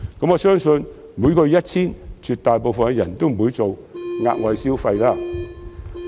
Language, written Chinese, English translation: Cantonese, 我相信如果是每月 1,000 元，絕大部分人都不會額外消費。, I trust that if the amount is 1,000 per month majority of the people will not have the incentive to make extra spending